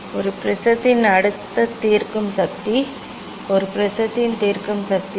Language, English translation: Tamil, then next resolving power of a prism; what is the resolving power of a prism